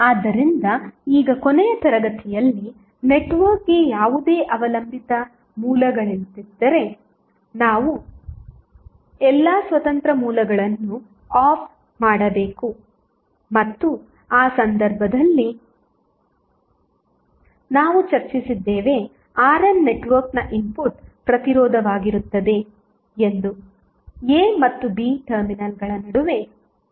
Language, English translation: Kannada, So, now, in case 1 in the last class we discuss if the network has no dependence source, then what we have to do we have to turn off all the independent sources and in that case R n would be the input resistance of the network looking between the terminals A and B